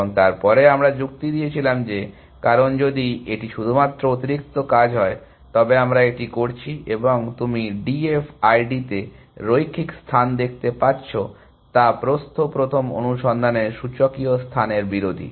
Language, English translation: Bengali, And then we argued that, because if that is only the extra work it we are doing and you are getting linear space in D F I D are oppose to exponential space of breadth first search